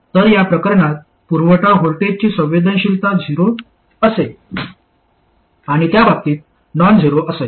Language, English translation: Marathi, So the sensitivity to supply voltage will be zero in this case and non zero in that case